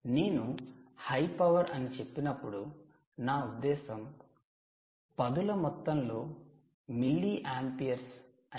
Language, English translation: Telugu, when you say high power, we are already talking of high power for us is already in tens of milliamperes